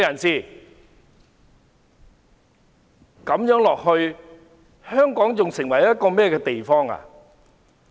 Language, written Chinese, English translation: Cantonese, 這樣子下去，香港會變成一個怎樣的地方？, If the situation deteriorates what will Hong Kong become?